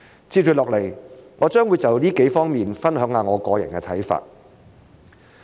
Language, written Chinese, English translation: Cantonese, 接下來我將會就這幾方面分享一下我個人的看法。, Up next I am going to share my personal views on these several aspects